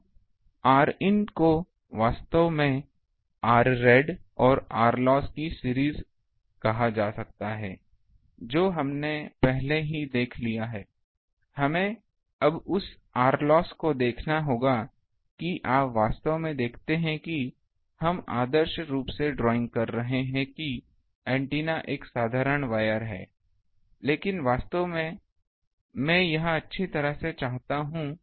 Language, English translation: Hindi, So, R in is actually can be called series of R rad and R loss that we have already seen, now that R loss we need to see now actually you see though we are ah ideally drawing that antenna is a simple where, but actually it is well I want to make an antenna it is a rod